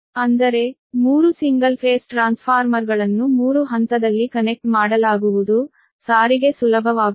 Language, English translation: Kannada, that means three single phase transformer will be connected in three phase, such that transportation is problem